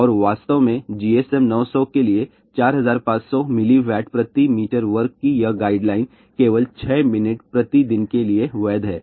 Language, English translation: Hindi, And in fact, this guideline of 4500 milliWatt per meter square for GSM 900 is only valid for 6 minutes per day